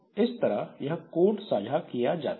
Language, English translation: Hindi, So, so this code part is shared